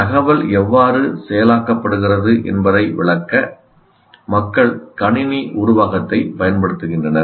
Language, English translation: Tamil, People still use the computer metaphor to explain how the information is being processed